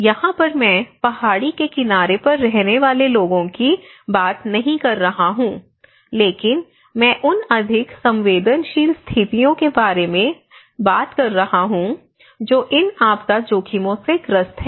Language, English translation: Hindi, Edge here I am not responding that people living on the mountainous edge but I am talking about the more vulnerable conditions who are prone to these disaster risk